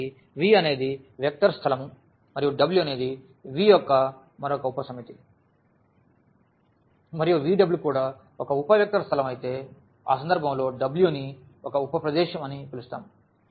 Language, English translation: Telugu, So, V is a vector space and W is another subset of V and if V W is also a sub also a vector space in that case we call that W is a subspace